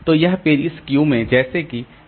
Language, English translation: Hindi, So, these pages are there in the queue like this, the circular queue